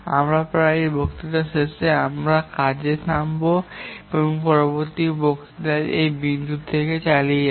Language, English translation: Bengali, We will stop here and continue from this point in the next lecture